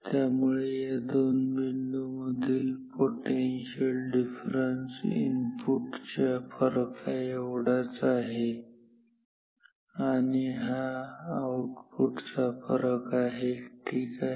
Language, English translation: Marathi, So, and this potential difference between these 2 is same as the input difference and this is the output difference simple